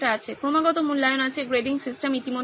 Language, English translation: Bengali, Continuous evaluation is there, grading system is already there